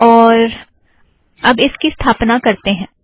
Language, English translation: Hindi, So lets go ahead and install it